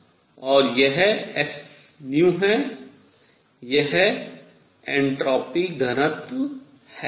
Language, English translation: Hindi, This is s nu, this is the entropy density